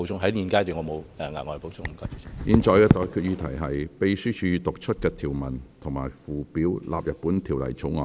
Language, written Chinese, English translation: Cantonese, 我現在向各位提出的待決議題是：秘書已讀出的條文及附表納入本條例草案。, I now put the question to you and that is That the clauses and schedules read out by the Clerk stand part of the Bill